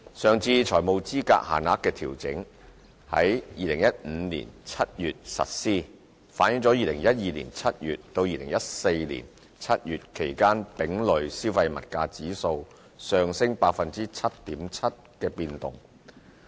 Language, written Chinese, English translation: Cantonese, 上次財務資格限額的調整於2015年7月實施，反映了在2012年7月至2014年7月期間丙類消費物價指數上升 7.7% 的變動。, The previous adjustments to the financial eligibility limits was implemented in July 2015 reflecting the 7.7 % increase in Consumer Price Index C CPIC for the period between July 2012 to July 2014